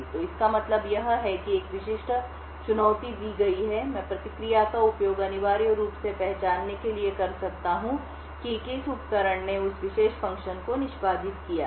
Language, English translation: Hindi, So, what this means is that given a particular challenge I can use the response to essentially identify which device has executed that particular function